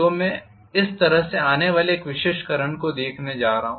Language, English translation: Hindi, So I am going to look at one particular current value coming up like this